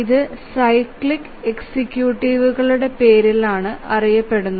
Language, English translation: Malayalam, It goes by the name cyclic executives